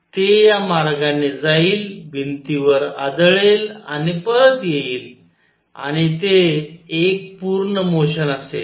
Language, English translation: Marathi, It will go this way, hit the wall and come back and that will be one complete motion